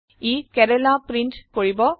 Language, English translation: Assamese, It will print Kerala